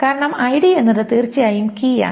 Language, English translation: Malayalam, And here we are saying ID is the key